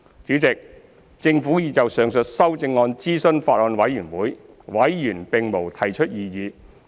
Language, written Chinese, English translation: Cantonese, 主席，政府已就上述修正案諮詢法案委員會，委員並無提出異議。, Chairman the Government has consulted the Bills Committee on the above amendments and Members have not raised any objection